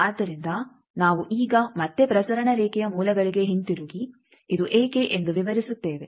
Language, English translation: Kannada, So, we will explain now again going back to the basics of transmission line that why this is